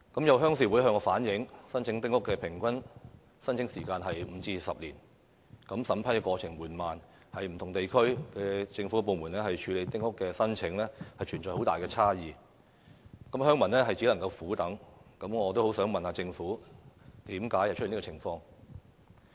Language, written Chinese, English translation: Cantonese, 有鄉事會向我反映，丁屋的平均申請時間為5至10年，審批過程緩慢，而不同地區的政府部門處理丁屋申請亦存有很大差異，鄉民只能苦等，所以我很想問政府為何會出現這樣的情況。, The vetting process is slow and there is also a big difference in the handling time of applications among the government departments in different districts . The villagers can only wait patiently . I would like to ask the Government why this is the case